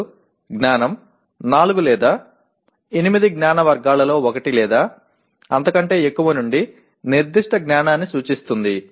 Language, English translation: Telugu, Then knowledge represents the specific knowledge from any one or more of the 4 or 8 knowledge categories